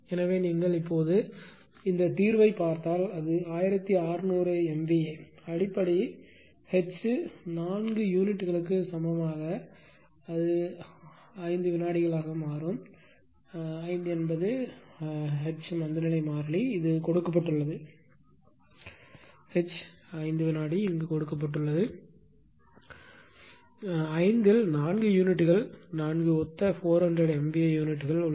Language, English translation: Tamil, So, ah if you if you look at this now solution that how will make it ; so, for 4 units on 1600 MVA base H equivalent actually will become 5 into 5 is the inertia constant H; it is given this H is given here 5 second; 5 into there are 4 units for identical 400 MVA units